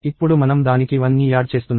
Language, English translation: Telugu, Now, we are adding 1 to it